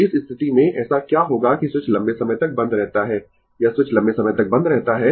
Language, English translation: Hindi, So, in this case, what will happen that switch is closed for long time ah this switch is closed for long time